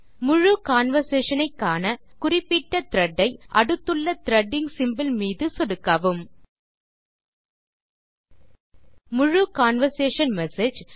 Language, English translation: Tamil, To view the full conversation click on the Threading symbol present next to the corresponding thread